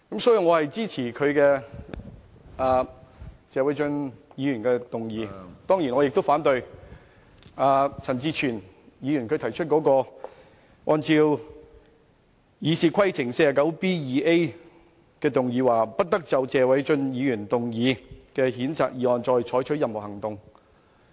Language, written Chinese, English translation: Cantonese, 所以，我支持謝偉俊議員的議案，當然我也反對陳志全議員根據《議事規則》第 49B 條動議的"不得就謝偉俊議員動議的譴責議案再採取任何行動"的議案。, Hence I support the motion of Mr Paul TSE but I certainly oppose the motion moved by Mr CHAN Chi - chuen under Rule 49B2A of the Rules of Procedure that no further action shall be taken on the censure motion moved by Mr Paul TSE . In fact the two can be mentioned in the same breath